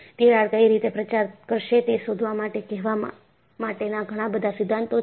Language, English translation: Gujarati, There are many theories to say, to find out, which way the crack will propagate